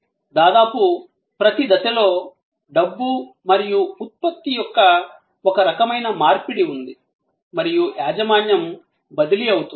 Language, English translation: Telugu, Almost at every stage, there is some kind of exchange of money and product and the ownership gets transferred